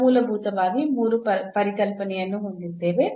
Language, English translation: Kannada, We have the three concepts